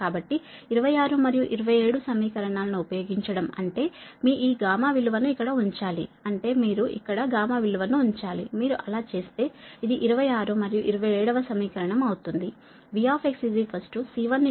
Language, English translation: Telugu, so using twenty six and twenty seven means you put this gamma value here, here, you put the gamma value here, if you, if you do so then it will that twenty six and twenty seven it will become v